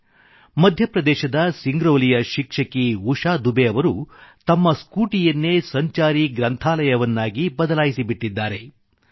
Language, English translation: Kannada, A teacher from Singrauli in Madhya Pradesh, Usha Dubey ji in fact, has turned a scooty into a mobile library